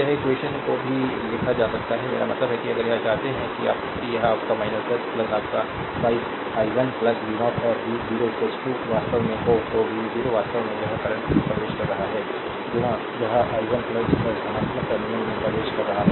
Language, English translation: Hindi, Or this this equation also can be written I mean if you want that it will be your minus 10 plus ah your 5 i 1 plus v 0, and v 0 is equal to actually and v 0 actually it is current entering into this i 1 plus 10 entering the positive terminal